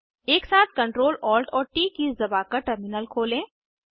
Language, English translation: Hindi, Open the terminal by pressing Ctrl, Alt and T keys simultaneously